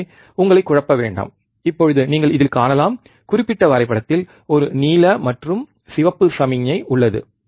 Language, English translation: Tamil, So, just not to confuse you, now you can see, in this particular graph, there is a blue and red signal right